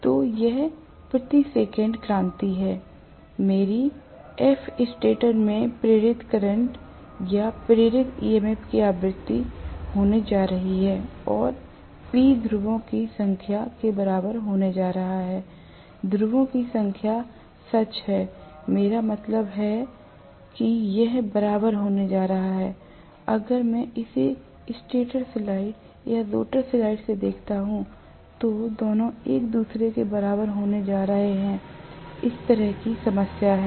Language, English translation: Hindi, So this is revolution per second, my f is going to be frequency of the induced current or induced EMF in the stator and P is going to be equal to number of poles, number of poles is true, I mean it is going to be equal if I look at it from the stator side or rotor side, both of them are going to be equal to each other, there is a problem as such